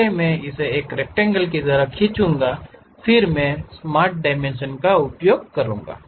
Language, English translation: Hindi, First I will draw it like a rectangle, then I will use Smart Dimensions